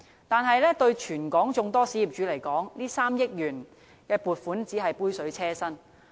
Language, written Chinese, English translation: Cantonese, 但對於全港眾多小業主而言，這3億元撥款只是杯水車薪。, But in relation to the great number of small property owners in Hong Kong this 300 million is just a drop in the ocean